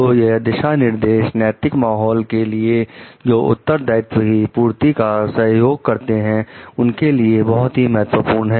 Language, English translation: Hindi, So, these guidelines are also very important regarding an ethical climate the supports fulfillment of responsibility